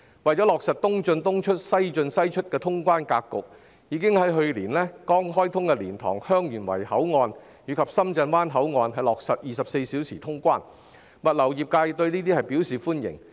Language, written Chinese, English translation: Cantonese, 為落實"東進東出、西進西出"的通關格局，港深兩地政府已於去年剛開通的蓮塘/香園圍口岸及深圳灣口岸落實24小時通關，物流業界對此表示歡迎。, In order to implement the customs clearance pattern of East in East out West in West out the governments of Hong Kong and Shenzhen have introduced 24 - hour customs clearance at the LiantangHeung Yuen Wai Port opened just last year and the Shenzhen Bay Port . The logistics industry welcomes this measure